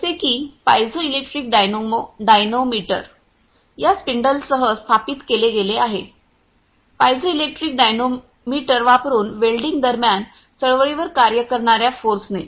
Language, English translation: Marathi, Such as the piezoelectric dynamometer has been installed with this spindles by using this piezoelectric dynamometer during the welding the forces acting on the movement